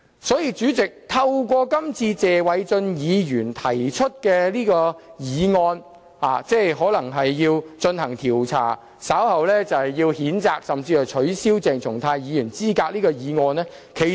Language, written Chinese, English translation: Cantonese, 所以，主席，透過這次謝偉俊議員提出的議案，稍後可能會進行調查，予以譴責，甚至取消鄭松泰議員的資格。, Hence President thanks to the motion proposed by Mr Paul TSE this time around an investigation may ensue later on to censure or even disqualify Dr CHENG Chung - tai